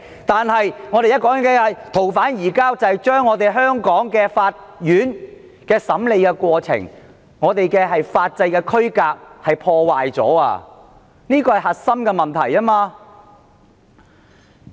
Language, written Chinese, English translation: Cantonese, 但我們現在說的逃犯移交安排卻非由香港法院審理，因而破壞了我們的法制區隔，這是核心問題。, But the arrangements for surrender of fugitive offenders currently under discussion are not subject to the jurisdiction of the Courts of Hong Kong which is a step across the line segregating our legal systems and that is the core issue